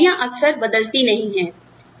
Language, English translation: Hindi, Where jobs, do not change often